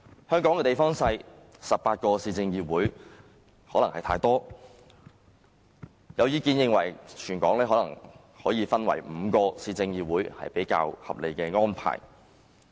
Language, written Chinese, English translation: Cantonese, 香港地方小 ，18 個市議會可能太多，有意見認為，全港分為5個市議會可能是較合理的安排。, Hong Kong is small in size so 18 city councils may be too many . There is the view that it would be more reasonable to divide the entire Hong Kong into five city councils